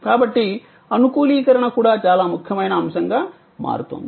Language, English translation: Telugu, So, customization also is becoming a very important aspect